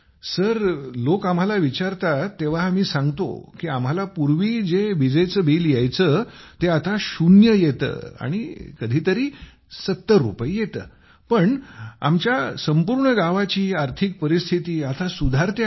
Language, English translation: Marathi, Sir, when people ask us, we say that whatever bill we used to get, that is now zero and sometimes it comes to 70 rupees, but the economic condition in our entire village is improving